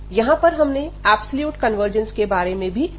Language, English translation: Hindi, And we have also discussed about the absolute convergence there